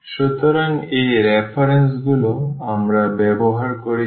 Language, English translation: Bengali, So, these are the reference we have used